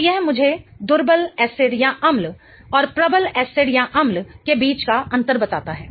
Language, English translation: Hindi, So, that tells me the difference between weak acid and strong acids